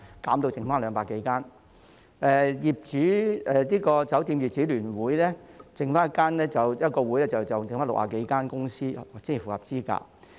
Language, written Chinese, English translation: Cantonese, 酒店業則只剩下一個指定團體，即香港酒店業主聯會，這個聯會只有60多間公司符合資格。, There remains only one designated body in the hotel industry ie . the Federation of Hong Kong Hotel Owners Limited under which only 60 - odd companies are eligible